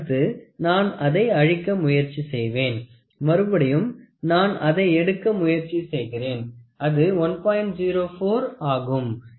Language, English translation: Tamil, Next what I will do is I will try to kill this so, I will try to take may be if it is 1